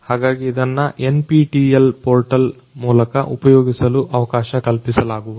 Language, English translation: Kannada, So, it is going to be made accessible through the NPTEL portal